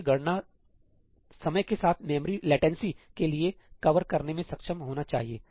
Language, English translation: Hindi, I should be able to cover for the memory latency with the compute time